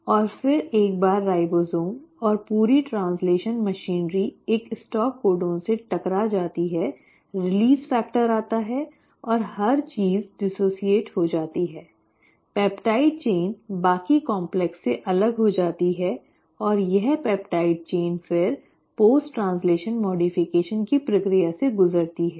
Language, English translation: Hindi, And then once the ribosome and the entire translational machinery bumps into a stop codon the release factor comes every things gets dissociated, the peptide chain gets separated from the rest of the complex and this peptide chain will then undergo the process of post translational modification